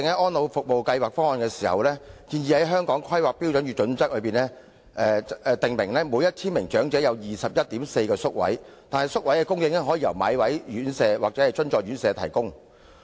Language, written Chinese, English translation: Cantonese, 《安老方案》建議在《規劃標準》訂明每1000名長者有 21.4 個宿位的規劃比率，但宿位可以由買位院舍或資助院舍提供。, While the planning ratio of 21.4 residential care places per 1 000 elderly persons is proposed to be included in HKPSG by ESPP these places can be provided either by the EBPS homes or subsidized residential care homes